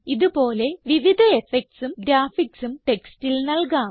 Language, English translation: Malayalam, Similarly, various such effects and graphics can be given to the text